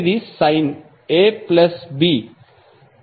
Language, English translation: Telugu, First one is sine A plus B